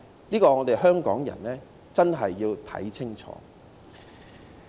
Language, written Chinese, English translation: Cantonese, 對此，香港人真的要看清楚。, Hong Kong people must really see the picture clearly